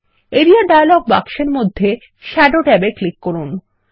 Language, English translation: Bengali, In the Area dialog box, click the Shadow tab